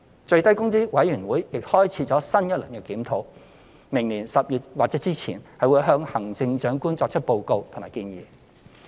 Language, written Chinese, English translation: Cantonese, 最低工資委員會亦開始新一輪檢討，並會於明年10月或之前向行政長官作出報告和建議。, With the commencement of a new round of review of the SMW rate the Minimum Wage Commission will report its recommendation to the Chief Executive by October next year